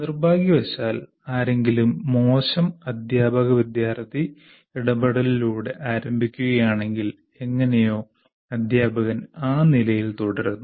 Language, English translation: Malayalam, And unfortunately, if somebody starts with a poor teacher student interaction, somehow the teacher continues to stay at that level, which is unfortunate